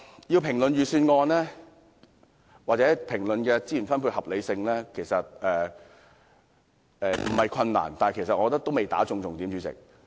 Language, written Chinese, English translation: Cantonese, 要評論預算案或資源分配的合理性其實不困難，但主席，我卻認為還未擊中重點。, It is in fact easy to show the unreasonable resource distribution under the Budget . But this is not the most important thing Chairman